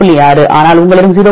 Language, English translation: Tamil, 6, but you have 0